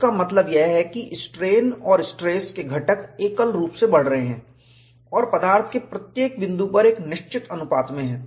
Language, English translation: Hindi, This means, that the strain and stress components are increased monotonically and in a fixed ratio at each material point